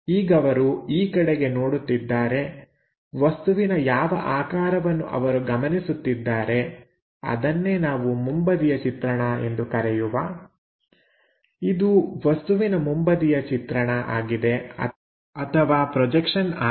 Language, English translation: Kannada, As of now, he is looking in that direction, whatever the shape he is observing that let us call front view, this one is the front view projection